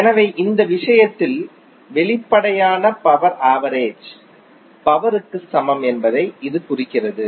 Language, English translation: Tamil, So that implies that apparent power is equal to the average power in this case